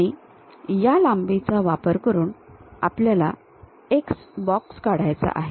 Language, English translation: Marathi, With these lengths we have to construct a box, so let us see